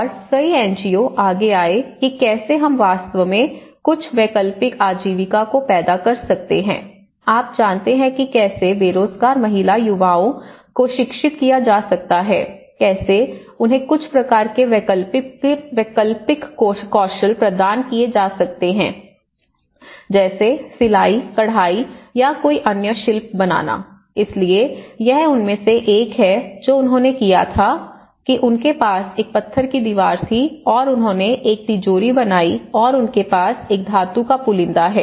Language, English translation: Hindi, And many NGOs came forward how we can actually generate some alternative livelihood items, you know like the woman how they can be educated the unemployed youth, how they could be provided with some kind of alternative skills because like tailoring, sewing, embroidery or any craft making, so this is one of the so what they did was they had a stone wall and they made a vault and they have a truss, the metal truss